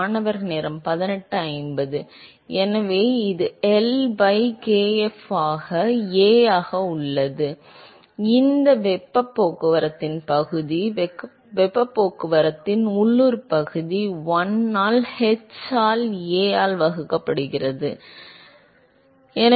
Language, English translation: Tamil, So, this is L by kf into A, which is the area of heat transport; local area of heat transport divided by1 by h into A, right